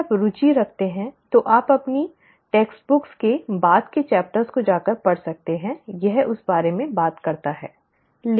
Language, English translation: Hindi, If you are interested you can go and read later chapters of your textbook, it does talk about that